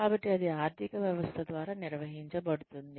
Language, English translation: Telugu, So, that could be governed, by the economy